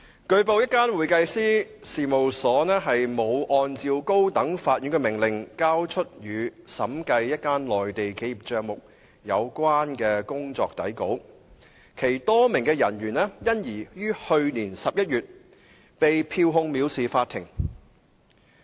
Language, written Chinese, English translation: Cantonese, 據報，一間會計師事務所沒有按高等法院的命令，交出與審計一間內地企業帳目有關的工作底稿，其多名人員因而於去年11月被票控藐視法庭。, It was reported that a number of personnel from an accounting firm were issued summons for contempt of court in November last year as the firm failed to produce pursuant to a High Courts order the working papers concerning the auditing of the accounts of a Mainland enterprise